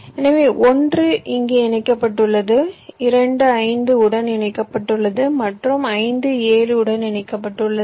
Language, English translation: Tamil, ok, so one is connected to here, two is connected to five and five is connected to seven